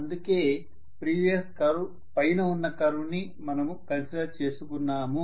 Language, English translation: Telugu, That is the reason why we considered that curve above the previous curve